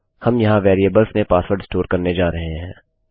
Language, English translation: Hindi, We are going to store the password in a variable here